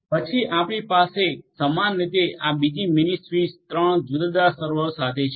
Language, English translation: Gujarati, Then you are going to have similarly another mini switch with three different servers like this